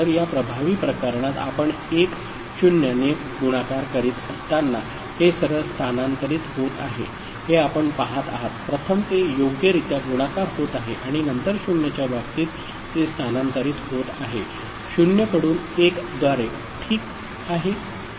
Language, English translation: Marathi, So, what effectively you see that it is just getting shifted when you are multiplying with 10 in this particular case, it is getting the first one is getting multiplied properly and then it is just getting shifted by the, for the case of the 0, by 1 ok